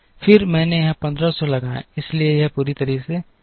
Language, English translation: Hindi, Then I put a 1500 here, so this is met completely this is also met completely